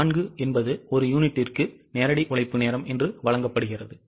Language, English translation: Tamil, 4 is given, that is direct labour hour per unit